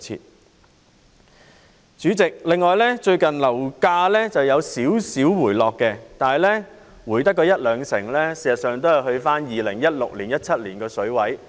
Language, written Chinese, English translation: Cantonese, 代理主席，最近樓價輕微回落，但只是下調一兩成，回到2016年、2017年的水平。, Deputy President recently property prices have slightly dropped by only 10 % to 20 % to the 2016 and 2017 levels